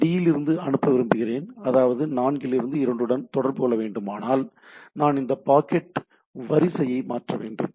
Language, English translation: Tamil, I want to send from D the connectivity is that this has to go for to 4 has to communicating with 2 then I can basically here change this packets sequence